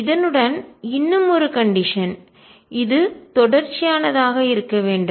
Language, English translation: Tamil, And with this also there is one more condition this should be continuous